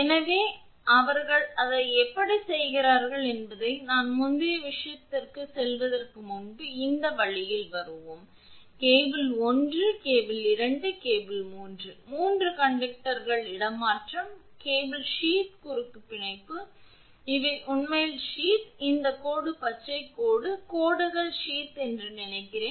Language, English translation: Tamil, So, how they are doing it I will come to that that before going to the previous this thing this the way this is; suppose cable 1, cable 2, cable 3 the 3 conductors are there the way the transposition, cross bonding of cable sheath these are actually sheath, this dash green dash lines are the sheath